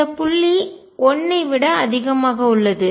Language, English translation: Tamil, This point is greater than 1